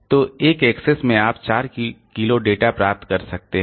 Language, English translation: Hindi, So, in one axis we can get 4 kilobyte of data